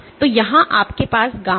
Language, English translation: Hindi, So, here you have gamma